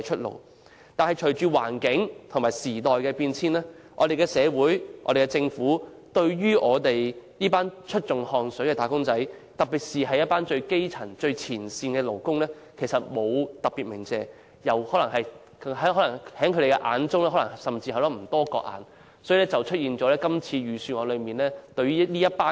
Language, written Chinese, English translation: Cantonese, 然而，隨着環境和時代變遷，我們的社會和政府對於這群出盡汗水的"打工仔"，尤其最基層和最前線的勞工並沒有特別感謝，甚至不把他們放在眼內，結果令他們成為這份財政預算案中被遺忘的一群。, However following changes in the environment and times our society and the Government are not particularly grateful to this group of wage earners who have worked tirelessly especially workers at the grass - roots level and in the front line . They even turned a blind eye to this group who was consequently missed out in the Budget